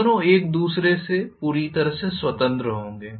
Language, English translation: Hindi, Both of them will be completely independent of each other